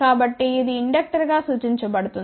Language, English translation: Telugu, So, that will be represented as inductor